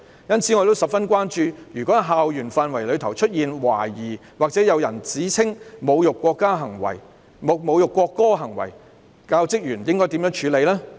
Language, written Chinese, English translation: Cantonese, 因此，我十分關注如果在校園範圍出現懷疑或有人指稱有侮辱國歌行為，教職員應該怎樣處理呢？, Hence I am very concerned how the teaching staff should handle the matter if there is any suspected or alleged act of insulting the national anthem on campus